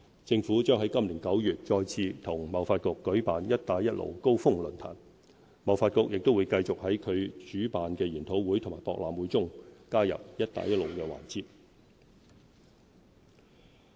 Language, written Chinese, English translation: Cantonese, 政府將在今年9月再次與貿發局舉辦"一帶一路"高峰論壇，貿發局亦會繼續在其主辦的研討會和博覽會中加入"一帶一路"環節。, The Government will organize with TDC another Belt and Road Summit in September this year . TDC will also continue to include Belt and Road sessions in its seminars and expos